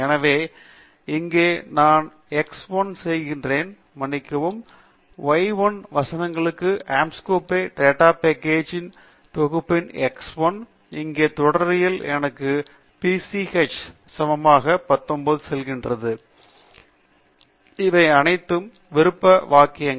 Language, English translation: Tamil, So, here I am plotting x 1, sorry y 1 verses x 1 of the Anscombe data set, and the syntax here tells me PCH equals 19; these are all optional syntaxes